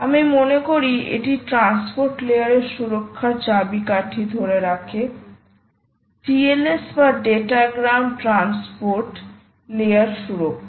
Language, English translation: Bengali, i think this is going to hold the key to transport layer security: either tls or datagram transport layer security